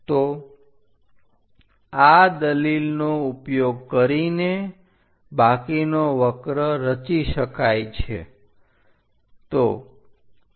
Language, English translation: Gujarati, So, using that argument, the rest of the curve can be constructed